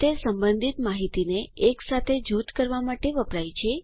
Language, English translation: Gujarati, It is used to group related information together